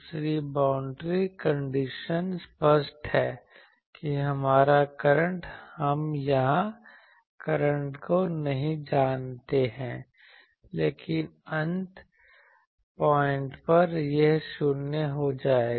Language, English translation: Hindi, The second boundary condition is obvious that our current we do not know the current here, but at the endpoints this will go to 0